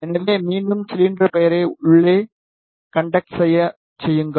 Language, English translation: Tamil, So, again make cylinder name it as inner conductor